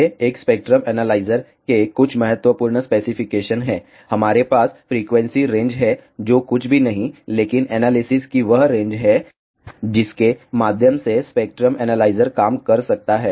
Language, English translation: Hindi, These are some important specifications of a spectrum analyzer; we have frequency range, which is nothing, but the range of analysis through which the spectrum analyzer can work